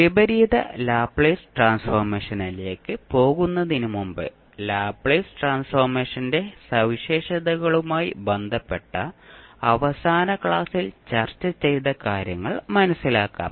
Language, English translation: Malayalam, Before going into the inverse Laplace transform, let us understand what we discussed in the last class related to the properties of the Laplace transform